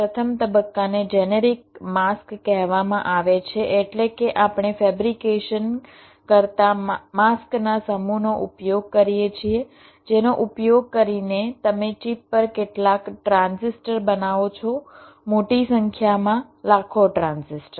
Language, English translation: Gujarati, the first phase is called generic masks means we use a set of mask doing fabrication using which you creates some transistors on the chip, large number, millions of transistors